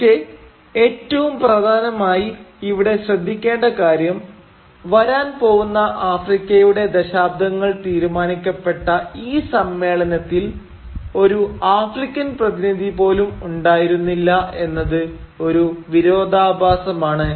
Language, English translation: Malayalam, But what is more important to note here is and this is very ironic that in this conference, which decided the fate of the African continent for decades to come, not a single African representative was present